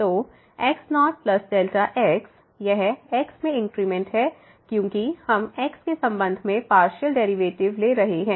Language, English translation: Hindi, So, plus delta ; this is the increment in because we are taking partial derivative with respect to x